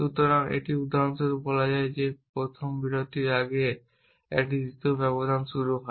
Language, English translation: Bengali, So, this is for example, saying that a second interval begins before the first interval